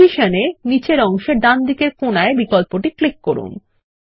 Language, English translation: Bengali, In Position, click the bottom right corner option